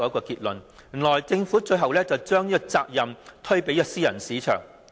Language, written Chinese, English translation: Cantonese, 原來政府最後把責任推卸予私人市場。, It turns out that the Government eventually shifts responsibilities onto the private market